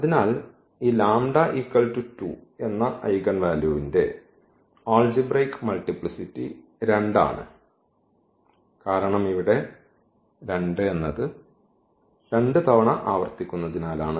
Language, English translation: Malayalam, So, that I the algebraic multiplicity of this 2 is 2 and the algebraic multiplicity of 8 because this is repeated only once